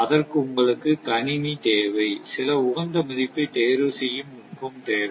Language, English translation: Tamil, You need computer and you, you need some optimization technique